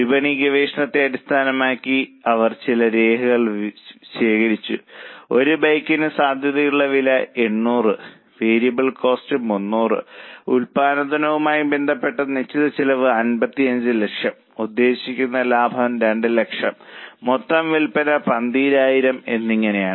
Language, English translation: Malayalam, They have collected some data based on market research like the likely price per bike is 800, variable cost is 300, fixed costs related to production are 55 lakhs, target profit is 2 lakhs, total estimated sales are 12,000 bikes